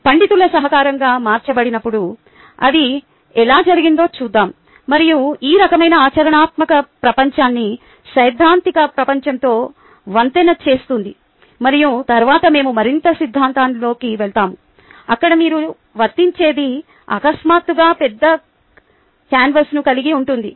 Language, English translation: Telugu, let us see how it was done, and this kind of bridges the practical world with the theoretical world, and then we will know more in the theory, where you will see the applicability suddenly encompass a large canvas